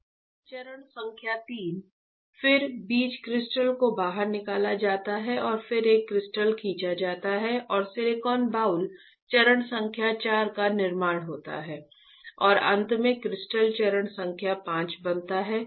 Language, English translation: Hindi, Step number 3, then the seed crystal is pulled out and then there is a crystal pulling and formation of the silicon boule step number 4 and finally, the crystal is formed step number 5 right